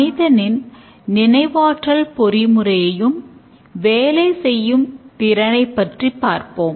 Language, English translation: Tamil, Let's see the working of the human cognition mechanism